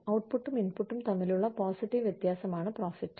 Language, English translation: Malayalam, Profit is the positive difference, between output and input